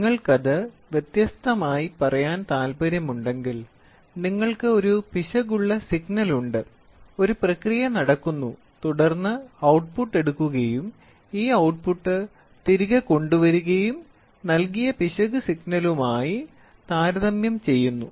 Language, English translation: Malayalam, If you want to put it in crude terms you have an error signal, there is a process which is going on then, the output is taken and then this output is brought back, and then it is compared then the error signal is given